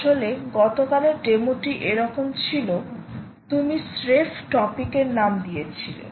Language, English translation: Bengali, in fact the yesterdays demo was also like that